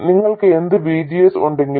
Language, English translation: Malayalam, No matter what VGS you have